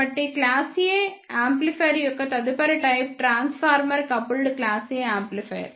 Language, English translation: Telugu, So, the next type of class A amplifier is transformer coupled class A amplifier